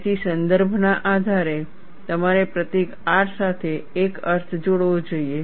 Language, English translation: Gujarati, So, depending on the context, you should attach a meaning to the symbol R